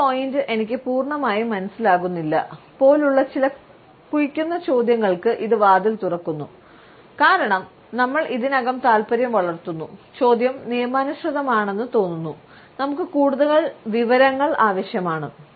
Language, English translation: Malayalam, It opens the door for some digging questions like; that point I do not completely understand, because we already build up interest, the question seems legit, we need more information